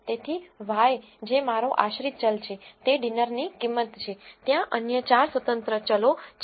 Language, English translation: Gujarati, So, y which is my dependent variable is the price of the dinner, there are 4 other independent variables